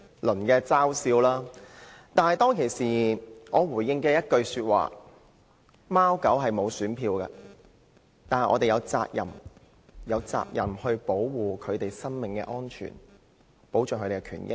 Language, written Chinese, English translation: Cantonese, 但是，我當時回應一句，指貓狗沒有選票，但我們有責任保護牠們的生命安全，保障牠們的權益。, However in my reply back then I said since cats and dogs were not entitled to vote we had the responsibility to protect their lives and safety and safeguard their rights and interests